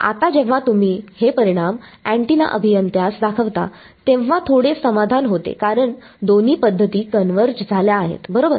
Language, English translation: Marathi, Now, when you show these results to an antenna engineer, there is some satisfaction because both methods have converged right